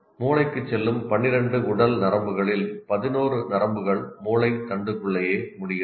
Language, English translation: Tamil, 11 of the 12 body nerves that go to the brain and in brain stem itself